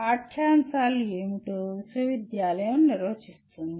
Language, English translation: Telugu, University will define what the curriculum is